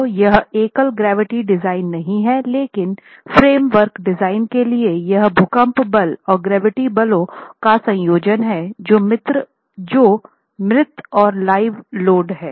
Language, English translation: Hindi, So, it's not going to be gravity design alone, but the framework is designed for a combination of earthquake force and gravity and gravity forces which is dead plus live load